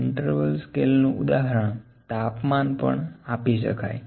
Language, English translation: Gujarati, The example for the interval scale could be temperature